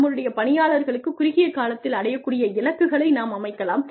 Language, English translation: Tamil, We can set, shorter achievable goals, for our employees